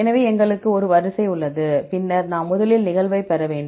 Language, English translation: Tamil, So, we have a sequence, then we need to get the occurrence first